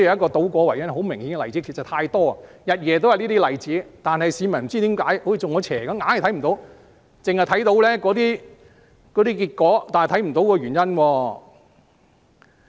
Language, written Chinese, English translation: Cantonese, 這些例子實在太多，日夜也有這些例子，但不知為何市民仿如中邪般，就是看不到，他們只看到結果卻看不到原因。, These examples abound indeed as these scenarios occur throughout the day . Yet I do not understand why the public would have missed that as if they are possessed . They can merely see the consequence but not the causes